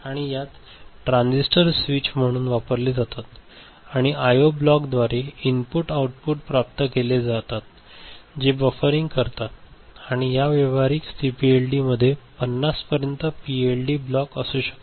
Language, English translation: Marathi, And in this, transistors are used as switches and inputs outputs are routed through I O block which offers buffering and commercial CPLDa can have up to 50 PLD blocks, right